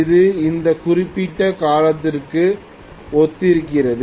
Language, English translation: Tamil, So that is corresponding to this particular period